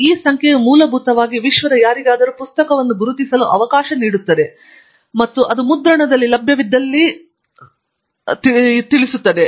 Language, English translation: Kannada, This number is basically going to allow anybody in the world to identify the book and also possibly source it if it is available in print